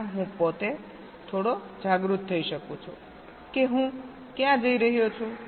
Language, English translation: Gujarati, there itself i can be a little bit aware of where i am heading to